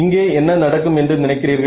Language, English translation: Tamil, So, what do you think will happen over here